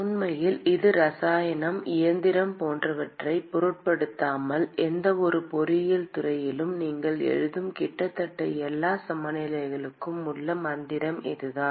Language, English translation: Tamil, And in fact this is the mantra in almost all the balances that you would write in any engineering discipline, irrespective of whether it is chemical, mechanical etc